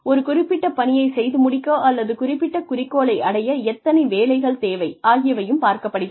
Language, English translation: Tamil, How many jobs are required to finish a particular task, or achieve a particular objective